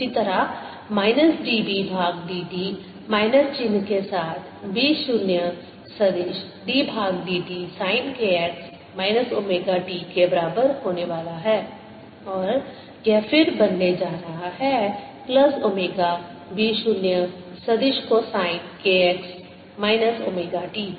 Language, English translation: Hindi, similarly, minus d b by d t is going to be equal to b zero vector d by d t of sine k x minus omega t, with a minus sign in front, and this is going to become then plus omega b zero vector cosine of k x minus omega t